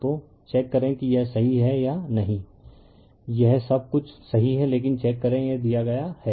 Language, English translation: Hindi, So, you check whether it is correct or not this is everything is correct, but you check this is given to you right